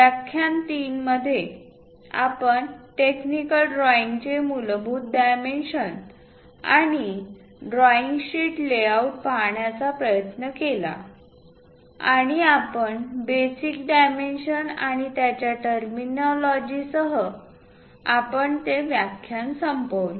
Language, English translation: Marathi, In lecture 3, we try to look at basic dimensions of a technical drawing and the layout of a drawing sheet and we have ended the lecture 3 with basic dimensions and their terminology